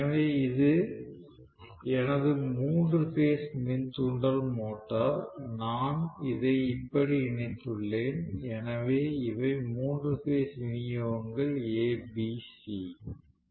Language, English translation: Tamil, So this is my three phase induction motor, so I have just connected it like this, so these are the three phase supplies A B C